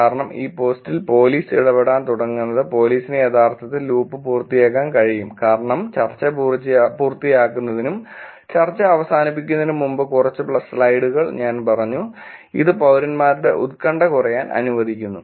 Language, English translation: Malayalam, And the reason could be is that police starting to interact in these post, police could actually complete the loop, as I said few slides before also completing the discussion and making the discussion closure which lets the anxiety of the citizens to go low